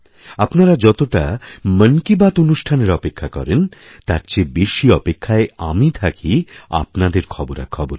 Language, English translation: Bengali, Much as you wait for Mann ki Baat, I await your messages with greater eagerness